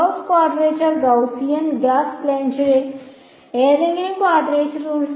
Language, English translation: Malayalam, Gauss quadrature Gaussian Gauss Legendre any quadrature rule